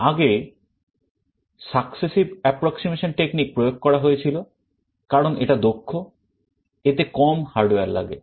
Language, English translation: Bengali, They all implemented successive approximation technique because it is efficient, because it requires less amount of hardware